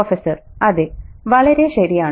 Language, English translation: Malayalam, Yeah, yeah, quite right